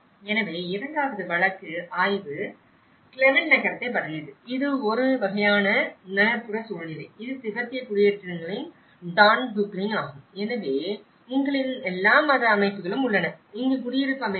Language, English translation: Tamil, So, the second case study is about the Clement town and this is a kind of an urban scenario, is a Dondupling of Tibetan settlements, so you have all the religious setting here and there are residential setting over here